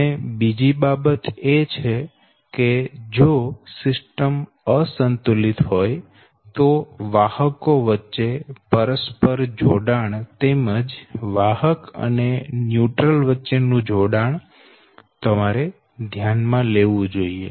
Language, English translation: Gujarati, and another thing is that: but if system is unbalanced, then you have to consider that the mutual coupling between the conductors, as well as between the conductor and the, your neutral right